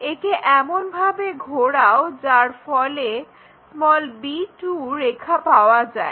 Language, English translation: Bengali, Is more like getting this a b 2 line